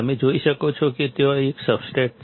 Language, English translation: Gujarati, You can see there is a substrate